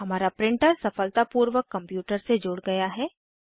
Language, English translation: Hindi, Our printer is successfully added to our computer